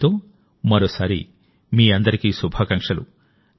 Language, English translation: Telugu, With this, once again many best wishes to all of you